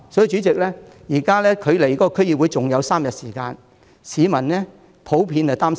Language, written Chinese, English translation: Cantonese, 主席，現在距離區議會選舉還有3天，市民普遍擔心甚麼呢？, President it is just three days away from the District Council election day . What is the common concern of the people?